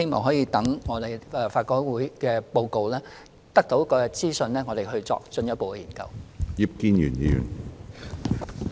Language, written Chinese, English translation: Cantonese, 所以，我們很希望待法改會提交報告，得到相關資訊後，才再作進一步的研究。, Therefore we would very much like to wait until a report is submitted by LRC and the necessary information is available before considering the issue further